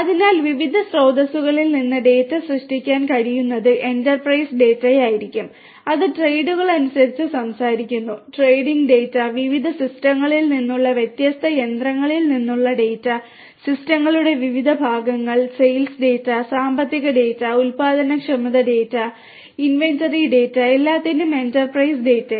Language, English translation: Malayalam, So, data can be generated from different sources can be enterprise data, which talks about you know trades you know trading data, data coming from different machinery from different systems different parts of the systems, sales data, financial data productivity data, inventory data, all kinds of enterprise data